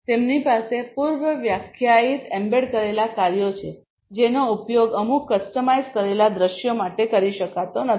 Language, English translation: Gujarati, They have predefined embedded functions that cannot be used for certain you know customized scenarios